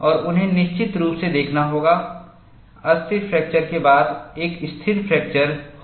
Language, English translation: Hindi, You have a stable fracture, followed by unstable fracture